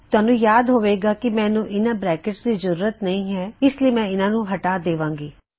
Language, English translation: Punjabi, Remember I dont need these brackets so Im going to take them out